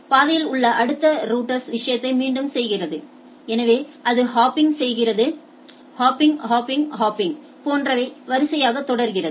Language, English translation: Tamil, The next router in the path repeats the thing so it goes on hopping, hopping, hopping, hopping like that right